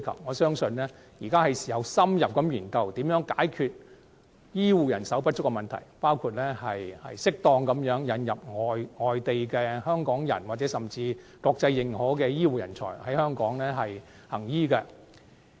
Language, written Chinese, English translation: Cantonese, 我相信現在是時候深入研究如何解決醫護人手不足的問題，包括適當引入外地港人或獲國際認可的醫護人才在港行醫。, I believe it is time to study in - depth ways to tackle the shortage of health care manpower including the possibility of importing Hongkongers from overseas or internationally recognized health care professionals to practise medicine in Hong Kong